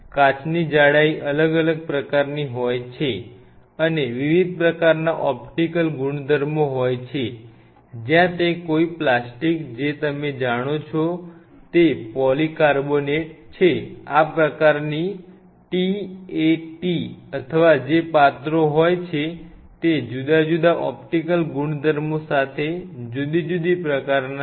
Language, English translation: Gujarati, So, glass has a different kind of thickness and different kind of optical properties where is if it is on a plastic which is basically polycarbonate like you know, this kind of t a t or whatever like you know vessels they are different material with the different optical properties